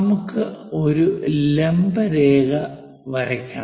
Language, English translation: Malayalam, We have to draw a perpendicular line